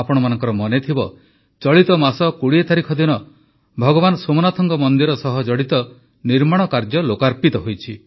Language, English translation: Odia, You must be aware that on the 20th of this month the construction work related to Bhagwan Somnath temple has been dedicated to the people